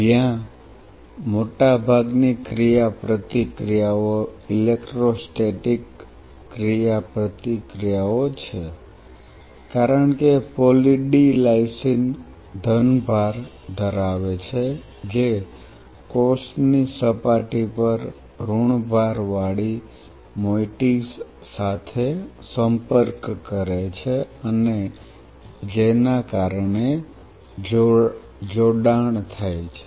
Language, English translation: Gujarati, Where most of the interactions are electrostatic interactions because Poly D Lysine having a positive charge interacts with negatively charged moieties on the cell surface and by virtue of which the attachment happens